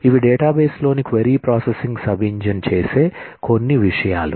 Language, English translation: Telugu, These are a couple of things that the query processing sub engine in a database will do